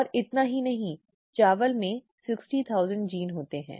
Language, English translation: Hindi, And not just that rice has 60,000 genes